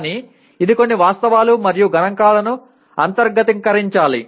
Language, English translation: Telugu, But it is some of these facts and figures have to be internalized